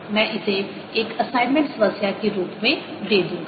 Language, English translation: Hindi, i will give that as an assignment problem